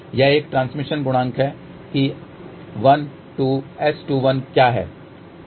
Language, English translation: Hindi, So, that is a transmission coefficient that 1 2